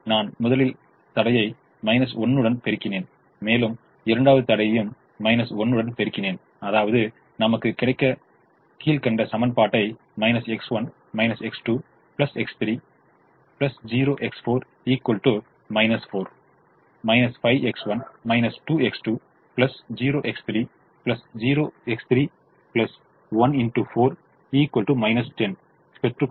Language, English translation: Tamil, i have multiplied the second constraint with a minus one to get minus x one minus x two plus x three plus zero x four is equal two minus four minus five x one minus two x plus zero x three plus zero x three plus one x four is equal to minus ten